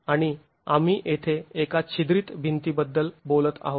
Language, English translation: Marathi, And here we are talking of a perforated wall